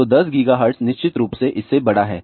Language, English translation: Hindi, So, 10 gigahertz is definitely larger then that